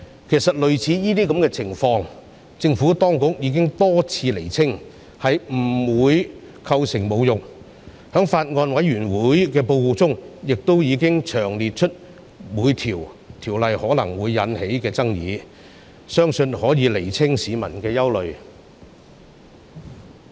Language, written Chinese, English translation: Cantonese, 其實政府當局已多次釐清類似情況不會構成侮辱國歌，而法案委員會報告亦詳細釐清了各項條文可能會引起的爭議，相信可以釋除市民的憂慮。, As a matter of fact the Administration has repeatedly clarified that similar scenarios will not constitute an insult to the national anthem . The report of the Bills Committee has also expounded in detail the disputes which may be arise from various provisions . I believe it can allay peoples concern